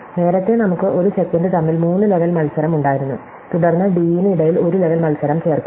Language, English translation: Malayalam, So, earlier we had a three level match between a sec, and then we add a one level match between d